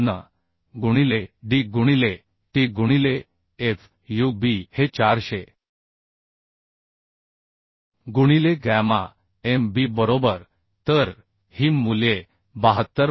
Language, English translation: Marathi, 454 into d into t into fub is 400 by gamma mb right So this value are coming as 72